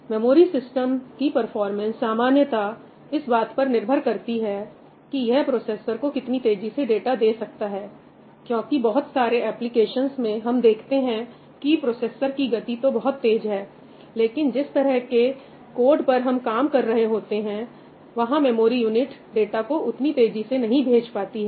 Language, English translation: Hindi, The performance of a memory system basically depends on its ability to feed data to the processor, because in a lot of applications we see that the processors, you have fast processors, but the kind of code that we are working on, the memory unit is not able to supply data to it faster